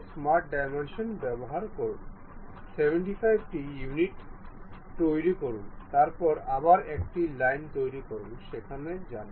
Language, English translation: Bengali, Use smart dimensions, make it 75 units, then again construct a line, goes there